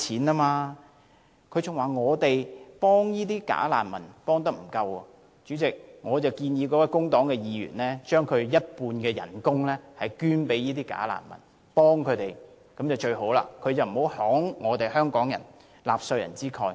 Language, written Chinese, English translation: Cantonese, 他還指出我們對"假難民"的支援不足，所以代理主席，我建議這位工黨議員不如捐出其半數薪酬幫助這些"假難民"好了，請不要慷香港人和納稅人之慨。, He even criticized us for not rendering adequate support to bogus refugees and Deputy President I therefore suggest that instead of being generous at the expense of taxpayers of Hong Kong this Member of the Labour Party should donate half of his income to help out bogus refugees